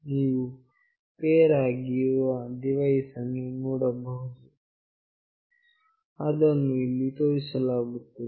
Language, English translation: Kannada, You can see that the pair device, it is showing up here